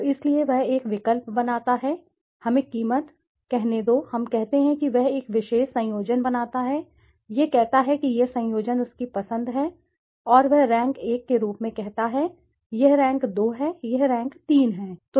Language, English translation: Hindi, So, so the choice, he makes a choice, let us say the price, let us say he makes a particular combination let say this combinations his choice and he says as rank 1, this is rank 2, this is rank 3